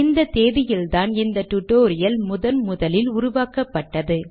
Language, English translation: Tamil, This is the date on which this tutorial was created the first time